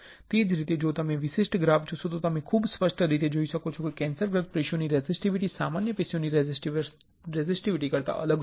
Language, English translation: Gujarati, And, the same way if you see this particular graph you can see very clearly the resistivity of the cancerous tissues is different than the resistivity of the normal tissues